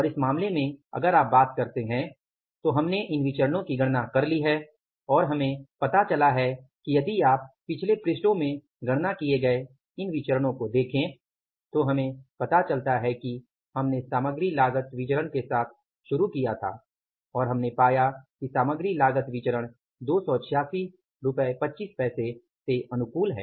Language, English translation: Hindi, And in this case, if you talk about, in this case if you talk about we have calculated these variances and we have found out that if you look at these variances which are calculated in the previous pages we have found out that we started with the material cost variance and there we found out that the material cost variance is 286